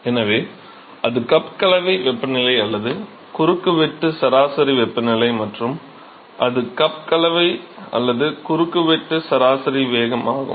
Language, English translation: Tamil, So, that is the cup mixing temperature or the cross sectional average temperature and that is be cup mixing or the cross sectional average velocity